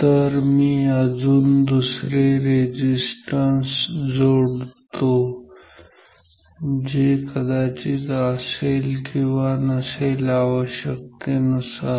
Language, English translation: Marathi, So, let me just put any other resistance which I may have or may not have depending on the requirement